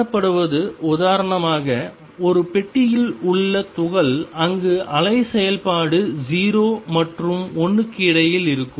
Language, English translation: Tamil, What is seen is for example, particle in a box, where wave function is between 0 and l